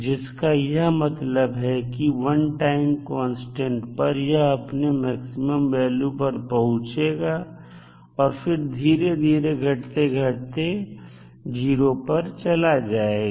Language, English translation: Hindi, So, that means after 1 time constant the current will reach to its peak value and then it will slowly decay to 0